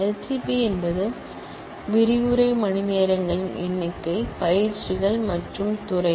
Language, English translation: Tamil, L T P is number of hours of lectures tutorials and practical’s and the department